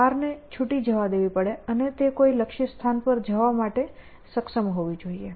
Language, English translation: Gujarati, So, you have to let loose the car in some sense and it should be able to go to a destination